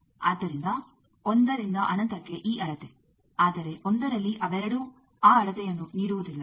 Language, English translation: Kannada, So, 1 to infinity this scale, but at 1 both they are not giving that scale